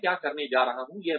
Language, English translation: Hindi, What am I going to do